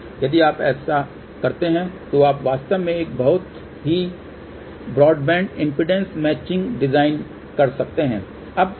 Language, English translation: Hindi, If you do that , you can actually design a very broad band impedance matching